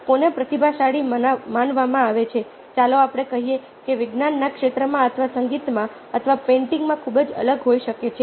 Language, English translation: Gujarati, who is considered a genius, lets say, in field of science, or in music, or in painting, can be very, very different